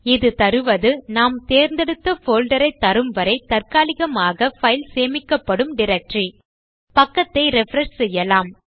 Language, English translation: Tamil, This will give us the directory that its stored in temporarily until we transfer it to the folder of our choice